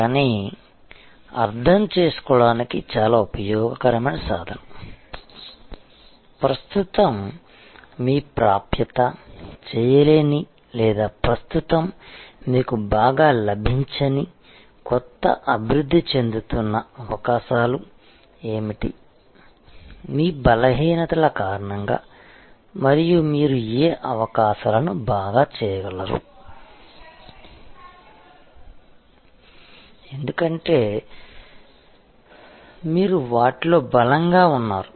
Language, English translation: Telugu, But, very useful tool to understand, that what are the new emerging opportunities which are sort of not accessible to you currently or not being avail by you well currently, because of your weaknesses and what opportunities you can do very well, because you are strong in those